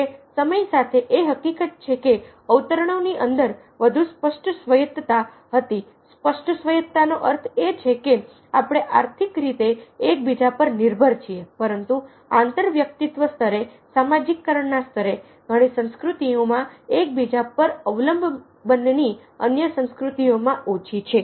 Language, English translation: Gujarati, however, with time, with the fact that within quotes the was greater a parent autonomy what i mean by greater apparent autonomy is the fact that economically we are dependent upon one another, but an inter in, at an inter personal level, at a level of socialization, they dependence on one another in many cultures is much less than it is in many of the other cultures